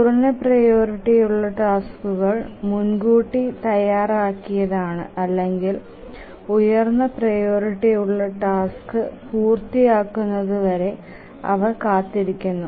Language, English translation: Malayalam, The lower priority tasks are preempted or they just keep on waiting until the higher priority task completes